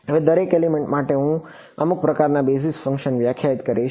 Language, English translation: Gujarati, Now, for each element I will define some kind of basis functions ok